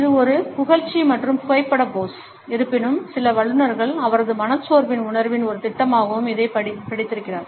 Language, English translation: Tamil, It is a flattering and photographic pose; however, some experts have also read it as a projection of his sense of melancholy